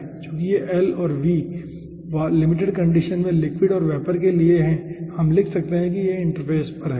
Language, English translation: Hindi, as this l and v are for the liquid side and vapor side in the limiting condition we can write down there is on the interface